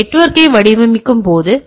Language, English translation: Tamil, So, when we try to trying to design a network